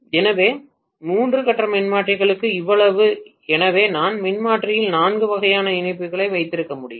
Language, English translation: Tamil, So, so much so for three phase transformer so I can have essentially four types of connections in the transformer